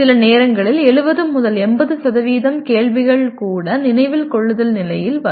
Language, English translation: Tamil, And sometimes you will find even 70 to 80% of the questions belong merely to the Remember level